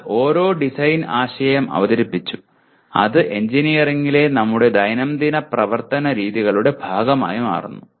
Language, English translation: Malayalam, But somebody has come out with design concept and it becomes part of our day to day work practically in engineering